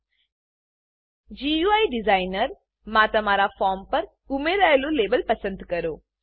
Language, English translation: Gujarati, In the GUI designer, select the label that you have added to your form